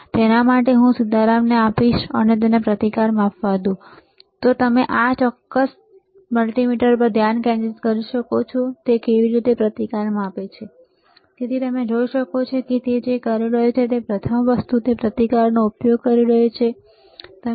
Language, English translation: Gujarati, So, for that I will give it to Sitaram, and let him measure the resistance, and you can you focus on this particular multimeter, how he is measuring the resistance, all right